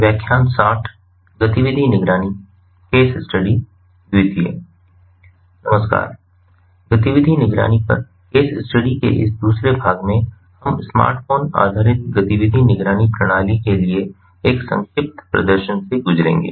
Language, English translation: Hindi, in this second part of the case study on activity monitoring, we will be going through a brief demonstration of a smartphone based activity monitoring system